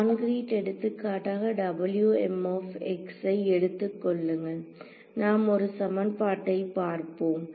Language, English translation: Tamil, So, as a concrete example take W m x to be let us say we will just look at 1 equation ok